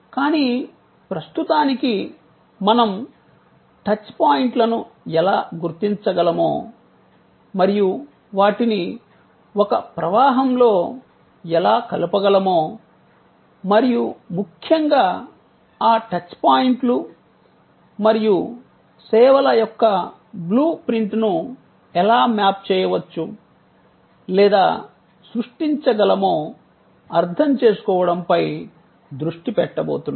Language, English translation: Telugu, But, at the moment, we are going to focus on understanding that how we can identify the touch points and how we can link them in a flow and most importantly, how we can map or create a blue print of those touch points and services